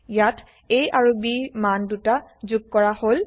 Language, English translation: Assamese, Here the values of a and b are added